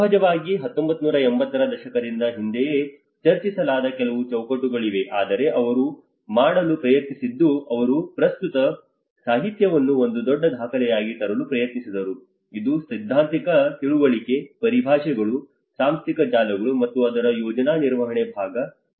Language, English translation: Kannada, Of course, there are been some frameworks which has been discussed much earlier from 1980s but what he tried to do is he tried to bring all of the current literature into 1 big document which actually talks from the theoretical understanding, the terminologies, the institutional networks, and the project management part of it, and the community asset management